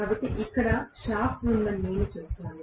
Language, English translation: Telugu, So, I would say that here is the shaft